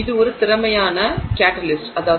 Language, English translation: Tamil, It is also an efficient catalyst